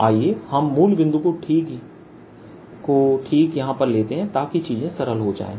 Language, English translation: Hindi, let us also take origin to be write here, so that things becomes simple